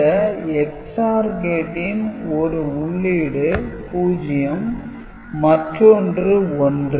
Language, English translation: Tamil, So, this is this XOR gate 0 and 1 this is the input